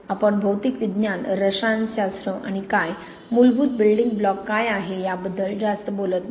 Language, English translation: Marathi, We do not talk much about the material science, the chemistry and what, what is the basic building block